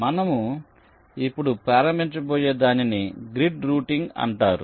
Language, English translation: Telugu, so we start with something called grid routing